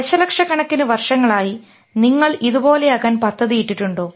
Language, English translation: Malayalam, Have we planned over millions of years and become like this